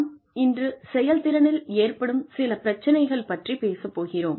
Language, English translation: Tamil, And today, we are going to talk about, some issues in performance